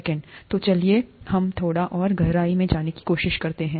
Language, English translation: Hindi, So let us go a little deeper, let us try to understand this a little better